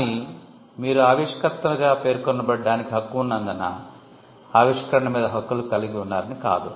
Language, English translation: Telugu, But just because you have a right to be mentioned as an inventor, it does not mean that you own the invention